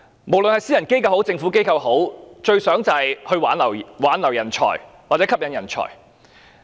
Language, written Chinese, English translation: Cantonese, 無論是私人機構或政府機構，最希望他們能夠挽留人才或吸引人才。, No matter in the private or public sector retention and attraction of talent is my best hope